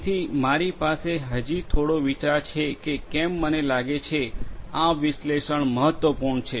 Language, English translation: Gujarati, So, I think we have so far a fair bit of idea about why analytics is important